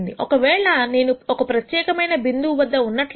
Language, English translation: Telugu, If I am in a particular point